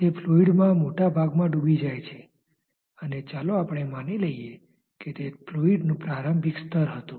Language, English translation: Gujarati, It is dipped into larger volume of fluid, and let us say that this was the initial level of the fluid